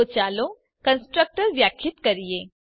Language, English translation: Gujarati, So let us define the constructor